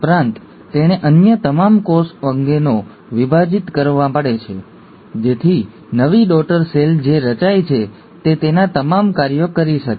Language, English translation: Gujarati, Also, it has to divide all the other cell organelles, so that the new daughter cell which is formed, can do all its functions